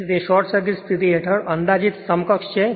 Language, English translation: Gujarati, So, it is the approximate equivalent under short circuit condition